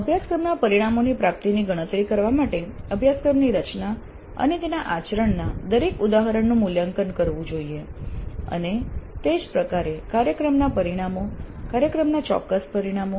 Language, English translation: Gujarati, Every instance of course design and its conduct should be evaluated to compute attainment of course outcomes and thereby program outcomes, program specific outcomes